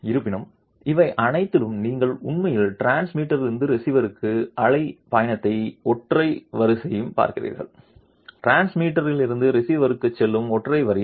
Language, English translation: Tamil, However, in all these you are actually looking at wave travel from the transmitter to the receiver and a single array, a single array going from the transmitter to the receiver